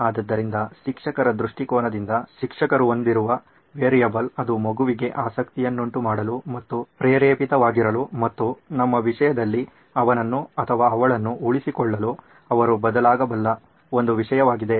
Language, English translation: Kannada, So that’s the variable the teacher has from a teacher’s point of view it was one thing that she can vary to keep the child interested and keep motivated and make him or her retain in our case it’s him I guess the student